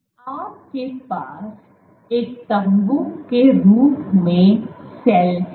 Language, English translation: Hindi, You have cell as a tent